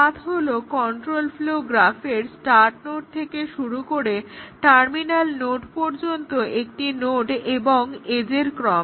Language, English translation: Bengali, A path is a node and edge sequence from the start node to a terminal node in the control flow graph is a path